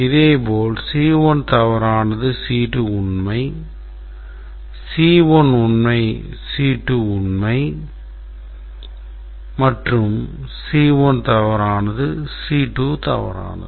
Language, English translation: Tamil, C1 is true, C2 is true and C2 is true and C1 is false, C2 is true